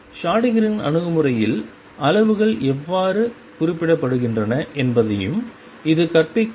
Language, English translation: Tamil, And this will also teaches about how quantities are represented in Schrodinger’s approach